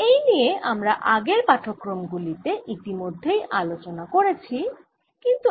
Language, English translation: Bengali, this is something we have already talked about in first few lectures but now will explain it further